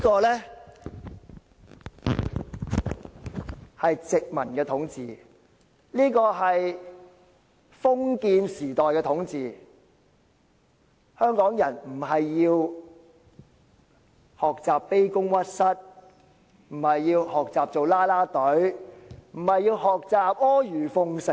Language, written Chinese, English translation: Cantonese, 這是殖民統治，也是封建時代的統治，香港人不是要學習卑躬屈膝，不是要學習成為"啦啦隊"，也不是要學習阿諛奉承。, This is colonial rule and feudal rule . What Hong Kong people should learn is not groveling to others being cheerleaders and currying favour with others